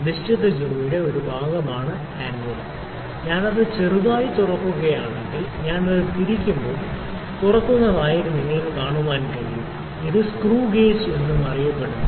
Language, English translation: Malayalam, The anvil is a portion that is the fixed jaw, if I if I open it little if when I rotate it, when I rotate it you can see it is opening, you can see it is also known as screw gauge screw gauge why it is known as screw gauge